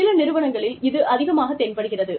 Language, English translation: Tamil, In some organizations, it is more pronounced